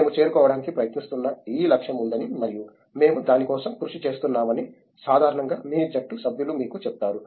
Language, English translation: Telugu, Generally your team mates tell you that there is this goal that we are trying to reach and we are working towards it